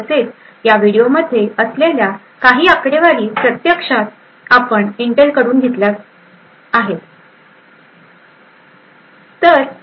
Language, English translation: Marathi, Also, some of the figures that are in this video have been actually borrowed from Intel